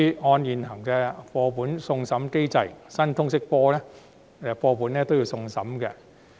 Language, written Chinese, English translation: Cantonese, 按照現行的課本送審機制，新通識科課本亦會送審。, According to the existing textbook review mechanism the new LS textbooks will also be submitted for review